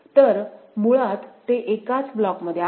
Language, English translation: Marathi, So, basically they are in the same block ok